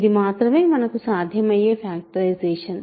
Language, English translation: Telugu, This must be the only possible factorization